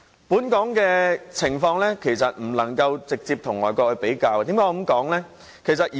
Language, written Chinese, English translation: Cantonese, 本港的情況不能直接與外國相比，為何我這樣說呢？, A direct comparison between the situation in Hong Kong and overseas is unsuitable . Why am I saying this?